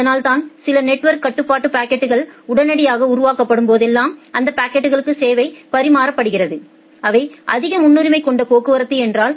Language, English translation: Tamil, So, that is why whenever certain network control packets are generated immediately those packets are served, if those are the high priority traffic